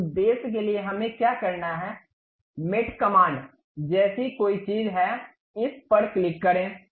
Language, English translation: Hindi, For that purpose, what we have to do, there is something like mate command, click this one